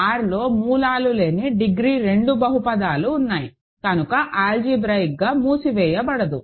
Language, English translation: Telugu, There are degree 2 polynomials which do not have roots in R, so that is not algebraically closed